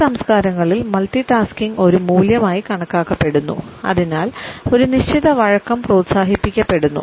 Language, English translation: Malayalam, In these cultures we find that multitasking is considered as a value and therefore, a certain flexibility is encouraged